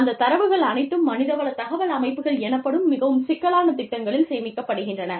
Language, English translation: Tamil, All that data is stored, in these very complex programs called, human resource information systems